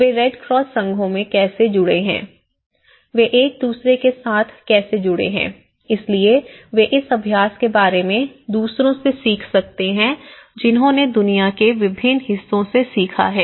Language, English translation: Hindi, How they have also associated with in the red cross associations, how they have also associated with each other so, that they can learn from other, you know, practices which they have already learned from different parts of the globe